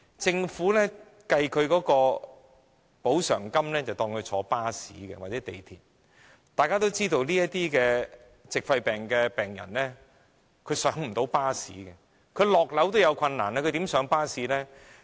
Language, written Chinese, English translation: Cantonese, 政府計算的補償金額是以乘坐巴士或港鐵計算，但大家也知道，這些矽肺病的病人連下樓梯也有困難，試問他們如何上落巴士呢？, For the amount of compensation from the Government it is calculated on the basis of taking buses or MTR . Nonetheless as we all know when these pneumoconiosis patients have difficulties in climbing down the stairs how can they get on and off a bus?